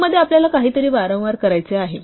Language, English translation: Marathi, In a loop, we want to do something repeated number of times